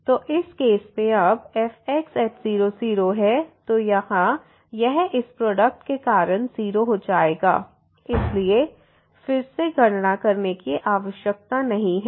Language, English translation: Hindi, So, in this case: and now at 0 0, so this will become 0 because of this product there, so no need to compute again